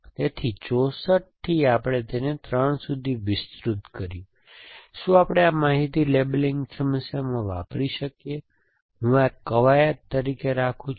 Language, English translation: Gujarati, So, from 64, we have broaden it down to 3, can we, this information is the question we ask in this labeling problem and I will leave this is an exercise